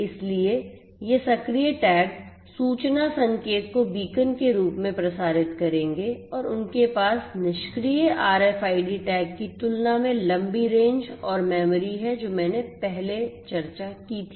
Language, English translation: Hindi, So, these tags our active tags would broadcast the information signal in the form of beacons and they have longer range and memory than the passive RFID tags that I discussed previously